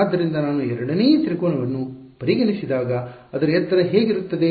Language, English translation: Kannada, So, when I consider the second triangle what will be the height of I mean what will it look like